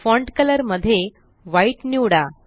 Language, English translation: Marathi, In Font color choose White